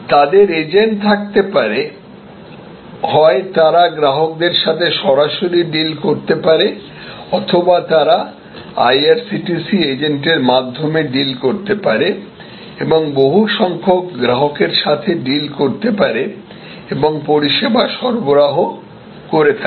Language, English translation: Bengali, They can have agents, either they can deal directly with customers or they can deal through IRCTC agents and deal with number of customers and the service will be delivered